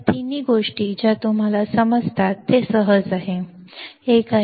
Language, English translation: Marathi, All three things you understand very easy to understand